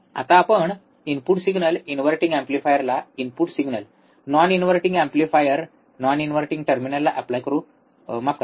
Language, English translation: Marathi, Now, we will apply input signal, input signal to the inverting amplifier, non inverting amplifier non inverting terminal, sorry about that